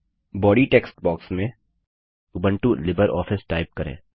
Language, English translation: Hindi, In the Body text box type:Ubuntu Libre Office